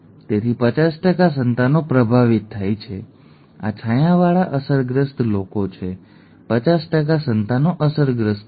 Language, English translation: Gujarati, Therefore 50% of the offspring are affected this shaded ones are the affected ones, 50% of the offspring are affected